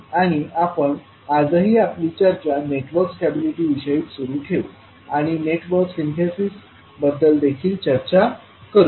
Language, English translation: Marathi, And we will continue our discussion today about the network stability and also we will discuss about the network synthesis